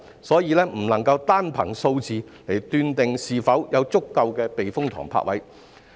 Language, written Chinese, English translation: Cantonese, 所以，不能夠單憑數字而斷定是否有足夠的避風塘泊位。, Therefore we cannot judge whether there are sufficient berthing spaces at typhoon shelters by simply looking at their numbers